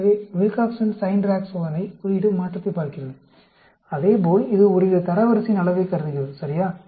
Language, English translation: Tamil, So, Wilcoxon Signed Rank Test looks at the sign change, as well as it also considers the magnitude by some sort of a ranking, ok